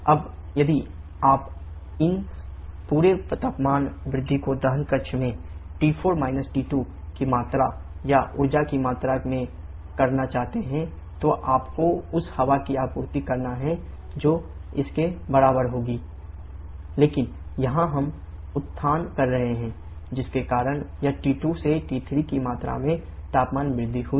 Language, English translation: Hindi, Now, if you want to have this entire temperature rise is being done in the combustion chamber T4 T2 amount or amount of energy that you have to supply to the air that will be equal to the mass of air into CP air into T4 T2 but here we are having regeneration done because of which this T2 to T3 rather I should say T2 to T3 the amount of temperature rise has taken place